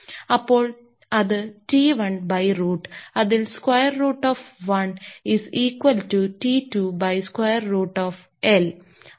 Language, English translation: Malayalam, So, that we can correlated if we say that T 1 by root about that your square root of L 1 is equal to T 2 by square root of L 2